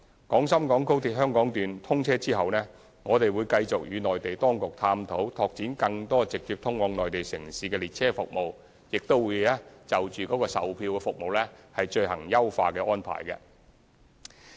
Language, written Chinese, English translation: Cantonese, 廣深港高鐵香港段通車後，我們會繼續與內地當局探討拓展更多直接通往內地城市的列車服務，亦會就售票服務進行優化安排。, After the commissioning of the Hong Kong Section of XRL we will continue to explore with the Mainland authorities additional direct train services to more Mainland cities and to enhance the ticketing arrangements